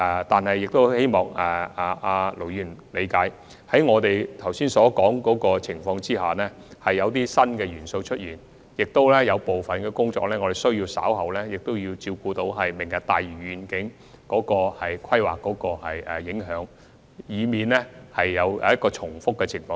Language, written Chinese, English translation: Cantonese, 但是，我希望盧議員能夠理解，在剛才所說情況下，有些新元素已然出現，也有部分工作需要顧及"明日大嶼願景"的規劃和影響，以免出現重複。, Nevertheless I hope Ir Dr LO will understand that under the circumstances described just now we have to take some new elements into consideration and some of our work needs to give regard to the planning and implications of the Lantau Tomorrow Vision in order to avoid duplication